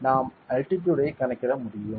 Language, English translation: Tamil, We can calculate the altitude